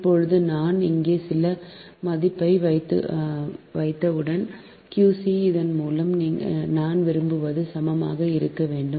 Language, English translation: Tamil, now, as soon as i put some value qc here, i want, through this i want to maintain v one is equal to v two